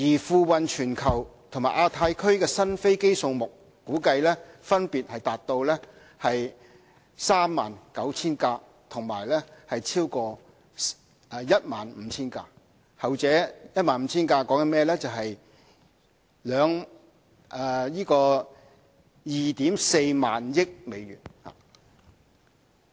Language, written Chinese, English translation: Cantonese, 付運全球和亞太區的新飛機數目估計分別達到 39,000 架和超過 15,000 架，後者 15,000 架牽涉 24,000 億美元。, The number of new aircraft delivered worldwide and in the Asia Pacific are estimated at 39 000 and over 15 000 with the latter valued at US2.4 trillion